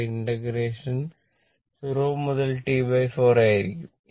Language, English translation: Malayalam, Therefore, this is also and integration will be also 0 to T by 4